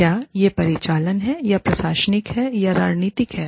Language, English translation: Hindi, Is it operational, or administrative, or is it strategic